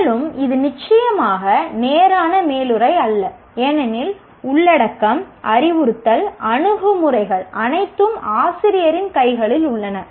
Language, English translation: Tamil, And it is certainly not a straight jacket because the content, the instructional approaches, assessment, everything is in the hands of the teacher